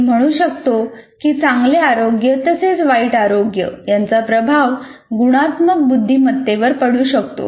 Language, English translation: Marathi, I can also say better health as well as bad health will also influence my emotional intelligence